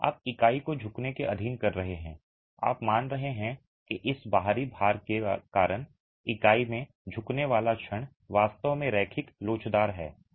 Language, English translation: Hindi, You are assuming that the bending moment in the unit due to this external load is actually linear elastic